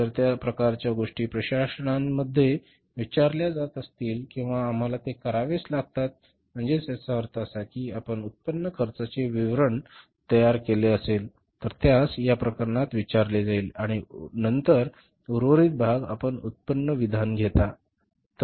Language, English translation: Marathi, So, if that kind of the things are asked in the question or we have to do it, so it means partly you prepare the income, this cost statement, leave it at the point where it is asked up to that is in this case works cost and then the remaining part you take to the income statement